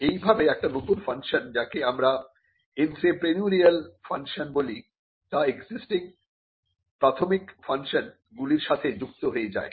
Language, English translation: Bengali, So, this is how the new function of a university what we call the entrepreneurial function is tied to one of its existing primary functions